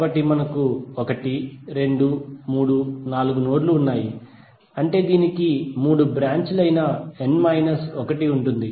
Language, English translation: Telugu, So we have 1,2,3,4 nodes, it means that it will have n minus one that is three branches